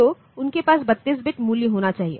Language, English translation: Hindi, So, they must have a 32 bit value